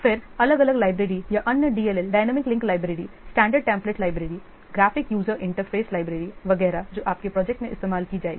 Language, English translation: Hindi, Then the different libraries or the DLL dynamic linking libraries, standard templates libraries, graphic user interface library etc